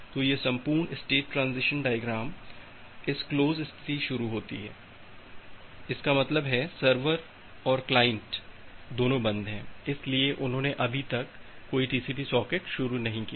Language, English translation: Hindi, So, this entire state transition procedure start from this close state; that means, the server and the client both of them are closed, so they are they have not started any TCP socket yet